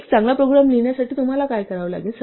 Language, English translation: Marathi, So, what do you need to do to write a good program